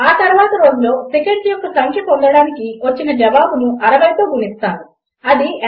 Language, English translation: Telugu, And then multiply the answer by 60 to get the number of seconds in a day which is 86,400